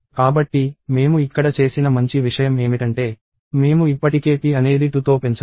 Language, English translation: Telugu, So, the nice thing that I have done here is I have incremented p by 2 already